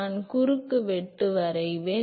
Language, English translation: Tamil, I will draw the cross section